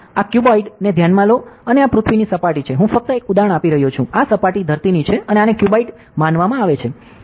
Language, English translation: Gujarati, So, consider this cuboid and this is the surface of earth, I am just giving an example ok; this is the surface earth and considered a cuboid like this